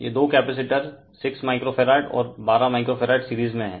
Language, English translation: Hindi, These two capacitors are there in series 6 microfarad, and 12 microfarads right